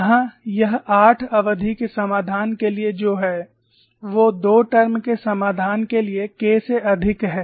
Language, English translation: Hindi, Here, it is for eight term solution, which is higher than the k for 2 term solution